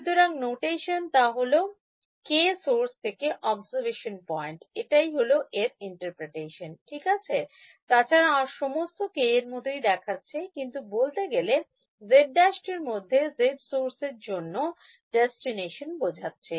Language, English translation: Bengali, So, the notation was K source to observation point that is the interpretation right just otherwise everything looks like K, but in fact, the z in the z prime correspond to the source in the destination